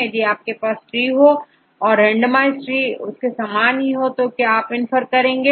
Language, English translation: Hindi, If you have tree and the randomized tree are the same, then what will you infer